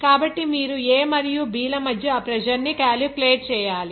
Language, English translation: Telugu, So, you have to calculate that pressure between A and B